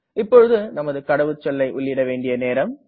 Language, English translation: Tamil, So we have to type the password carefully